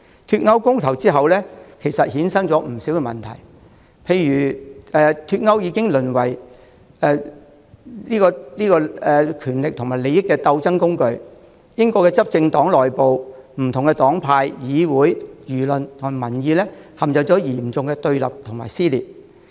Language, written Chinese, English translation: Cantonese, 脫歐公投之後，其實有不少問題產生，例如脫歐議題淪為權力和利益鬥爭的工具，英國執政黨內部、不同黨派、議會、輿論和民意陷入嚴重對立和撕裂。, Subsequent to the Brexit referendum a number of problems have actually arisen . For example the issue of Brexit has become a tool in the struggle for power and interests throwing the British ruling party different political parties and groupings the parliament the press and media and the general public into serious confrontation and rifts